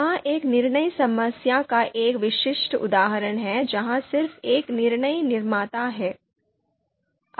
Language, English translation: Hindi, So this is a typical example of a decision problem where just there is just one decision maker